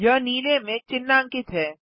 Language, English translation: Hindi, It is highlighted in blue